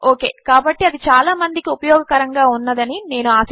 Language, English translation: Telugu, OK so I hope that was useful to a lot of people